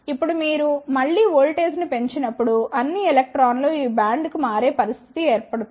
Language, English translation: Telugu, Now, there will be a situation when you again increase the voltage, then all the electrons will shift to this van